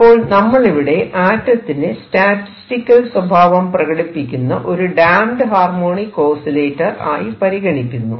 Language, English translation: Malayalam, So, what we have just said is that consider an atom like a damped harmonic oscillator in its statistical sense